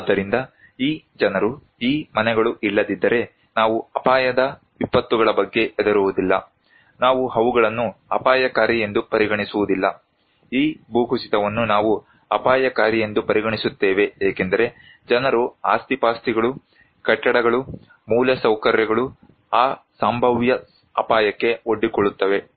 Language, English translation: Kannada, So, if these people, these houses are not there, we do not care about the hazard disasters, we do not consider them as risky, we consider this landslide as risky because people, properties, buildings, infrastructures they are exposed to that potential hazard